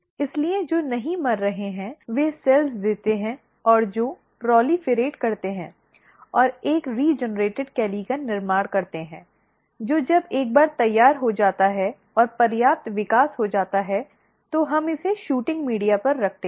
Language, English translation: Hindi, So, those which are not dying they give out new cells and which proliferate and to form a regenerated calli which once it is ready and enough growth has taken place we place it on a shooting media